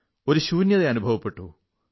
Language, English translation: Malayalam, I was undergoing a bout of emptiness